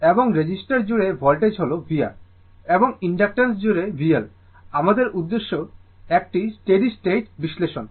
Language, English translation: Bengali, And voltage across the resistance is v R, and across the inductance is v L right, our objective is a steady state analysis right